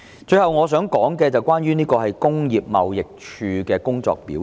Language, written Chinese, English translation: Cantonese, 最後，我想談談工業貿易署的工作表現。, Lastly I wish to talk about the performance of the Trade and Industry Department TID